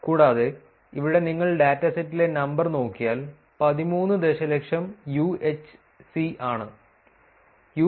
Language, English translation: Malayalam, Also here if you look at the number in the dataset is 13 million UHC